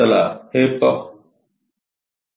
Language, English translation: Marathi, Let us look at this